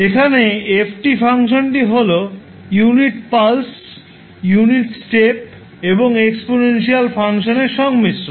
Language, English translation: Bengali, Let’ us see there is function f t which is a combination of unit in pulse, unit step and the exponential function